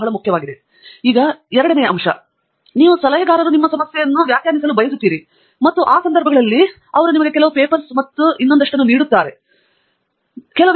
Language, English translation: Kannada, And secondly, I think what Andrew was pointing out is some advisors would define the problem for you upfront, where as some advisors would like you to define the problem, and in that context, they will give you a few papers and so on